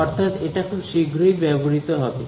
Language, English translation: Bengali, So, it is not I mean these will be used very soon